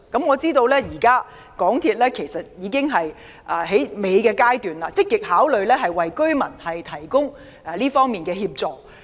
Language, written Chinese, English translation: Cantonese, 我知道，其實港鐵公司就此事的討論已達最後階段，正積極考慮為居民提供這方面的協助。, To my knowledge the deliberation on this matter by MTRCL has reached the final stage and it is actively considering providing assistance to residents to this end